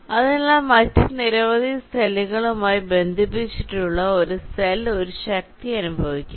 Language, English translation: Malayalam, ok, so then a cell connected to several other cells will experience a force